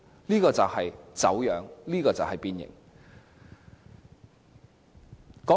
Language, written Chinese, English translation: Cantonese, 這就是走樣，這就是變形。, This is distortion . This is deformation